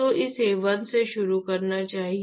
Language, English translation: Hindi, So, it should start from 1